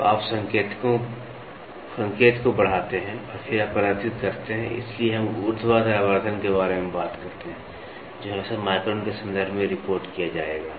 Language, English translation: Hindi, So, you amplify the signal and then you display, so that is why we talk about vertical magnification which will always be reported in terms of microns